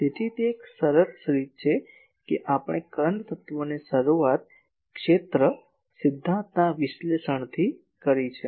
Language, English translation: Gujarati, So, that is a nice way that we have started the current element from the analysis from field theory